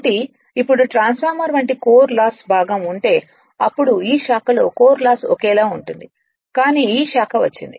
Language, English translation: Telugu, So, now if you if you had that Core loss component like transformer, then this branch has come rest is same, but this branch has come